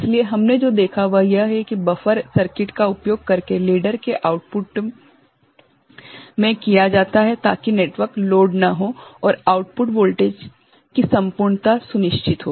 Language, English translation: Hindi, So, what we have seen, that buffer circuit is used at the output of the ladder not to load the network and ensure integrity of output voltage